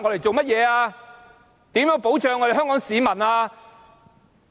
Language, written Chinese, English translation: Cantonese, 怎樣保障香港市民？, How does it protect the Hong Kong citizens?